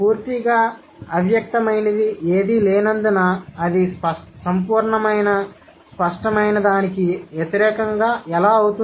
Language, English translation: Telugu, Since there is nothing absolutely implicit, how can it be an opposite of absolute explicit